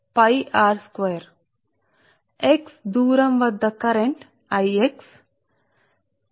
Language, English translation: Telugu, so at a distance x current is i x